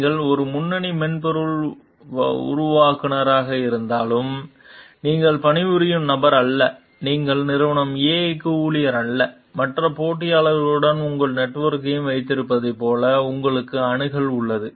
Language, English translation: Tamil, Like, even if you are a lead software developer, you are not the person who is working, you are not employee for company A and you have the access like you have your network with other competitors also